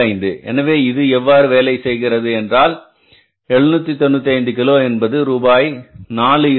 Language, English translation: Tamil, 25 per kg how much it works out this will work out as 795 kg out out at rupees 4